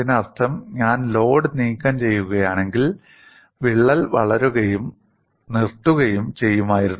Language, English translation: Malayalam, That means if I remove the load, the crack would have grown and stopped; it would not have progressed beyond that